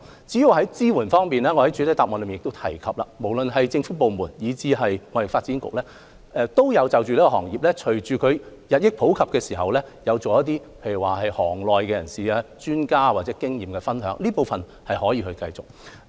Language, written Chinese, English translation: Cantonese, 至於支援方面，我在主體答覆亦提及，無論是政府部門以至香港貿易發展局均因應此經營方式日益普及，而舉行業內人士或專家的經驗分享聚會，這方面可繼續推行。, In respect of support I have also mentioned in the main reply that in view of the increasing popularity of this kind of business operation government departments and TDC have organized meetings for members or experts of the business to share their experience . We can continue to host such activities